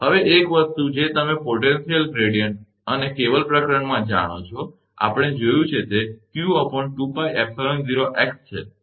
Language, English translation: Gujarati, Now one thing you know potential gradient and in cable chapter, we have seen that it is q upon 2 pi epsilon 0 x, right